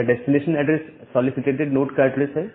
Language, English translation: Hindi, So, this destination address is the address of the solicitated node